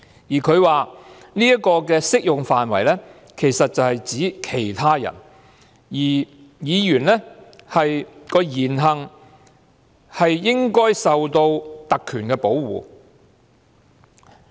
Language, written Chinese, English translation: Cantonese, 裁判官說這條文的適用範圍其實是指其他人，而議員的言行應受特權的保護。, The magistrate said that the provision is applicable to other people and the speeches and acts of Members should be protected by privileges